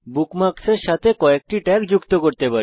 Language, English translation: Bengali, * You can associate a number of tags with a bookmark